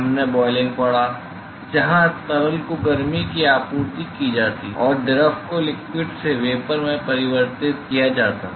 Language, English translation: Hindi, we looked at boiling where heat is supplied to the fluid and the fluid is converted from the liquid to the vapor phase